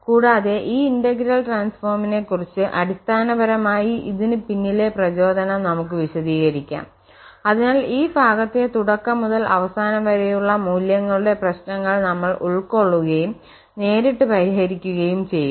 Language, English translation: Malayalam, And concerning this integral transform so we can explain in this way basically the motivation behind this integral transform, so will be covering this portion that the initial and boundary value problem and we try to solve directly